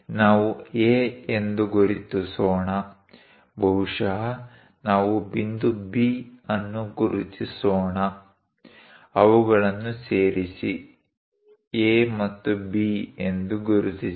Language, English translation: Kannada, Let us mark A; perhaps let us mark point B, join them;mark it A and B